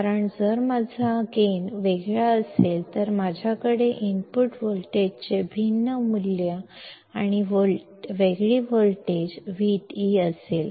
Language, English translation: Marathi, Because, if my gain is different, then I will have different values of input voltage and a different voltage V d